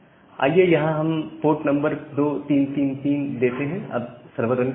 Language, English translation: Hindi, So, let us give the port number as 2333